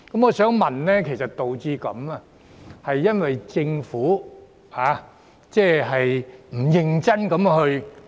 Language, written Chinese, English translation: Cantonese, 我想問，這是否因為政府沒有認真做工夫？, I would like to ask whether this situation is due to the Governments perfunctory efforts